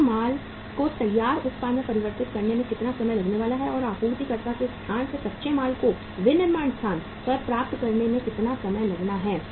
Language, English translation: Hindi, How much time it is going to take to convert the raw material into the finished product and how much time it is going to take to acquire the raw material from the place of supplier to the place of manufacturing